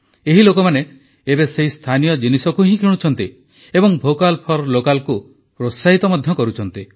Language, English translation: Odia, These people are now buying only these local products, promoting "Vocal for Local"